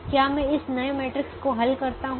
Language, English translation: Hindi, so make this modification and create a new matrix